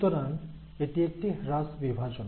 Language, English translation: Bengali, So it is a reduction division